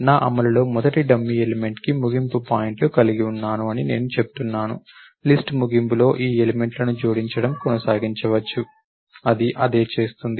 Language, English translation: Telugu, End points to the first dummy element that I have in my implementation and I am say, end of the list just keep on appending these items, that is what it does